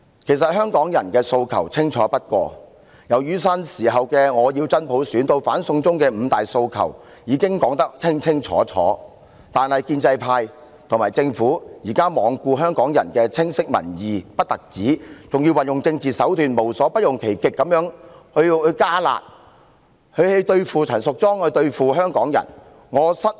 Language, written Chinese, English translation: Cantonese, 其實，香港人的訴求清楚不過，從雨傘運動時的"我要真普選"至反修例運動的"五大訴求"，實在明確非常，但現時建制派和政府不但罔顧香港人清晰的民意，還要利用政治手段，無所不用其極地"加辣"，對付陳淑莊議員和香港人，我對此甚感失望。, In fact the demands of Hong Kong people are crystal clear . From I want genuine universal suffrage in the Umbrella Movement to Five demands in the movement of opposition to the proposed legislative amendments our demands are so explicit . However at present the pro - establishment camp and Government do not merely neglect the opinions expressed lucidly by the Hong Kong public but do everything to put forward spicy measures through political means in order to harm Ms Tanya CHAN and Hong Kong people